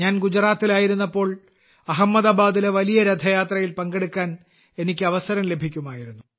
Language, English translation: Malayalam, When I was in Gujarat, I used to get the opportunity to attend the great Rath Yatra in Ahmedabad